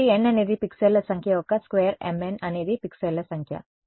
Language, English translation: Telugu, So, n is the square of the number of pixels right m n is the number of pixels